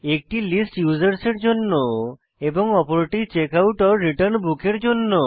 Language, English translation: Bengali, One for List Users and the other for Checkout/Return Book